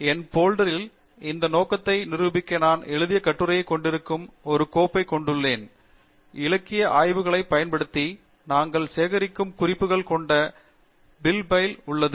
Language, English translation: Tamil, In my folder, I have a doc file which contains an article which I have written to demonstrate this purpose, and I have a bib file which contains references we have collected using the literature survey